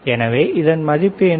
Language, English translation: Tamil, So, what is the value of this one